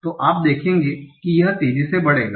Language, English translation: Hindi, So you will see that it will grow on exponentially